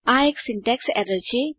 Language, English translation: Gujarati, This is a syntax error